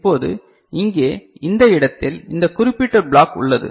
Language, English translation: Tamil, Now, here in this place we are having this particular block